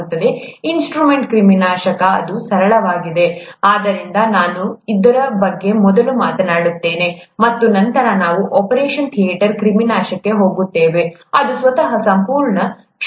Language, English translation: Kannada, Instrument sterilization, that, it's rather straightforward, so let me talk about that first, and then we’ll get to the operation theatre sterilization, which is a whole field in itself